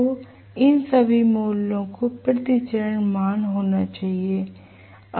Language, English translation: Hindi, So, all these values have to be per phase values